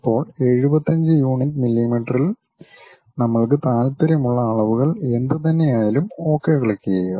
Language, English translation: Malayalam, Now, whatever the dimensions we are interested in 75 units mm, then click Ok